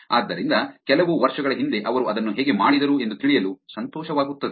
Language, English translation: Kannada, So, it'll be nice to actually know how they did it some years back